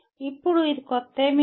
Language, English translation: Telugu, Now this is not anything new